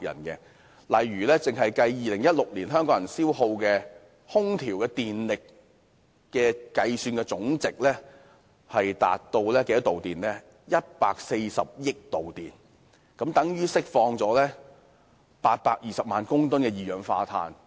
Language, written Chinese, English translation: Cantonese, 舉例而言 ，2016 年香港人消耗的空調電力總計高達140億度電，相等於釋放了820萬公噸二氧化碳。, For instance in 2016 the total power consumption for air conditioning in Hong Kong was as high as 14 billion kWh of electricity which is equivalent to releasing 8.2 million tonnes of carbon dioxide